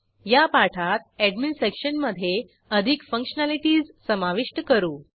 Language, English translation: Marathi, Here, in this tutorial we have added more functionalities to the Admin Section